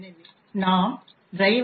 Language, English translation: Tamil, so and driver